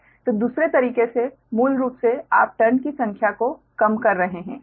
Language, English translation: Hindi, so in the other way, basically, you are reducing the number of trans, right